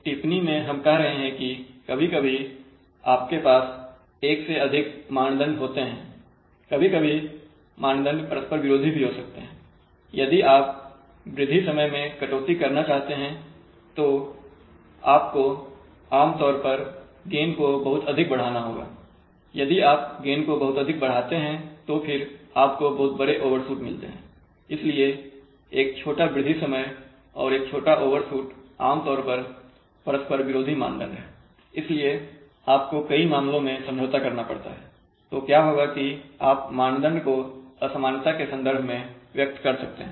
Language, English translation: Hindi, So in the remark we are saying that sometimes you have more than one criterion, sometimes criterion may be conflicting also, if you want to increase, if you want to cut down on rise time you generally have to increase the gain too much, if you increase the gain very heavily then you tend to have very large overshoots, so having a small rise time and having a small overshoot generally conflicting criteria, so you have to strike a compromise in many cases, what will happen is that you are criteria may be stated in terms of inequality